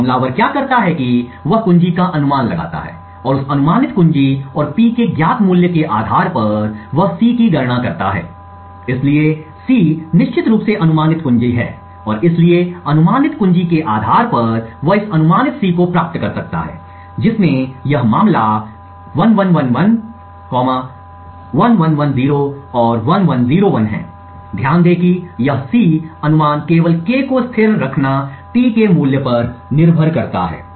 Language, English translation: Hindi, Now what the attacker does is that he guesses the key and based on that guessed key and the known value of P he computes C, so C is of course the key guess and therefore based on the guess key he can obtain this C guess which in this case is 1111, 1110 and 1101, note that this C guess keeping K constant only depends on the value of t